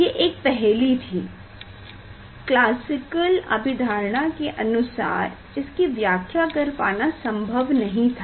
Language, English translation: Hindi, that was the puzzle, that from classical concept this result was not possible to explain